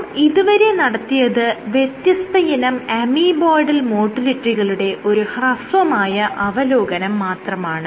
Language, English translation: Malayalam, So, this is just a brief overview of all the different types of amoeboidal motility you might have